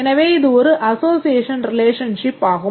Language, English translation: Tamil, These are all association relations